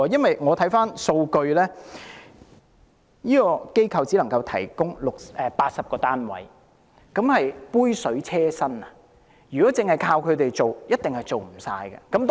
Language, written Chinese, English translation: Cantonese, 回看數據，樂善堂只能提供80個單位，這是杯水車薪，如果單靠他們，一定無法處理更多個案。, If we look at the figures we will see that Lok Sin Tong can provide only 80 units just like a drop in the ocean . If we rely on these organizations alone it will surely be impossible to deal with more cases